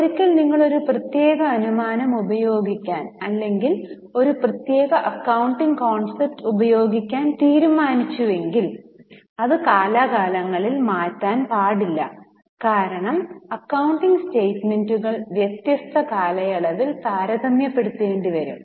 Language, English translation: Malayalam, Now once you decide to use a particular assumption or use a particular accounting concept that should demand be changed from period to period because accounting statements should be comparable from different period